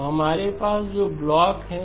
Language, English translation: Hindi, So the blocks that we have